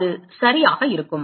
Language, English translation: Tamil, It will be a ok